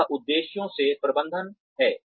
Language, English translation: Hindi, That is management by objectives